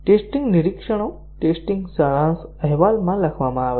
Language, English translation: Gujarati, The test observations are to be written down in a test summary report